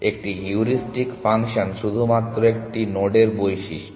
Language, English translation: Bengali, A heuristic function is just a property of the node